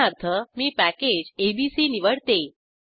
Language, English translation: Marathi, Let me choose the package abc, for example